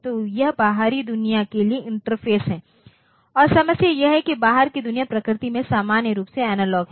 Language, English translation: Hindi, So, this is the interface to the outside world and the problem is that in outside world is in general analogue in nature